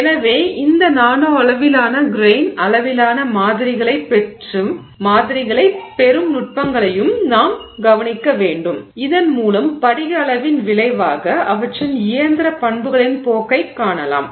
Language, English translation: Tamil, So, we also need to look at techniques which will get us this nanoscale grain sized samples so that we can look at the trend in their mechanical properties as a result of the crystal size